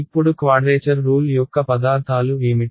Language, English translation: Telugu, Now what are the ingredients of a quadrature rule